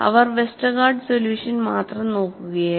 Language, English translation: Malayalam, So, they were only looking at the Westergaard solution